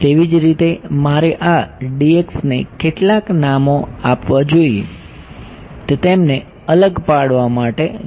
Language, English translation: Gujarati, Similarly I should give some names to this D x is to distinguish them